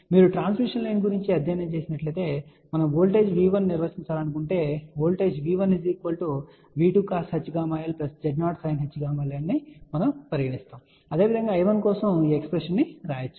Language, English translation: Telugu, You might have studied about transmission line and you know that let us say if we want to define a voltage V 1 then voltage V 1 is nothing but equal to V 2 cos hyperbolic gamma l plus Z 0 sin hyperbolic gamma l, similarly one can write expression for I 1